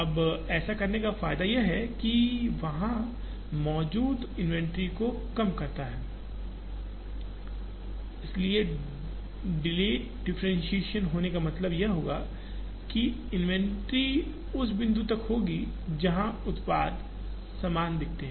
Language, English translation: Hindi, Now, the advantage of doing that is to reduce the inventory that is there, so delayed differentiation that would mean, the inventory upto the point, where the products looks similar